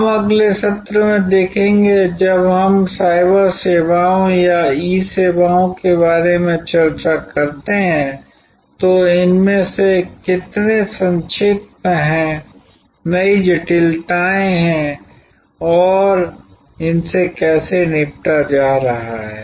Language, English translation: Hindi, We will see in the next session, when we discuss about cyber services or E services, how many of these are mitigated, new complexities and how they are being tackled